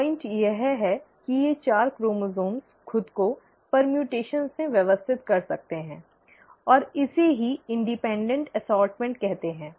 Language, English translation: Hindi, The point is, these four chromosomes can arrange themselves in permutations and that itself is called as independent assortment